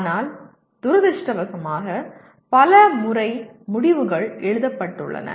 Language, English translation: Tamil, But that is the way unfortunately many times the outcomes are written